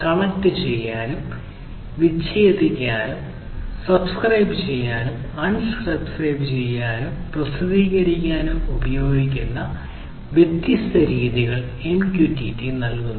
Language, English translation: Malayalam, Some of these methods that are used in MQTT are connect, disconnect, subscribe, unsubscribe, and publish